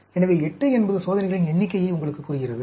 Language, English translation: Tamil, So, the 8 tells you the number of experiments